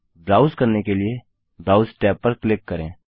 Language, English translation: Hindi, To browse, just click the browse tab